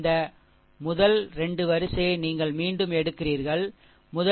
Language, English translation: Tamil, This first 2 row you repeat further, right